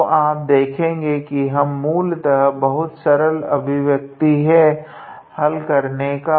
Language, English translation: Hindi, So, you see we will basically obtain a very simple expression to solve